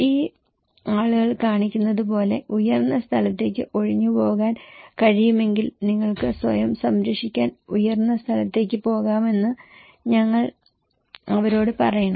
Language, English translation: Malayalam, We should also tell them that if they can evacuate to a higher place like these people is showing that okay, you can go to a higher place to protect yourself okay